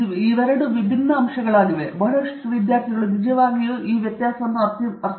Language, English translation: Kannada, These are two separate points; lot of students actually don’t understand this difference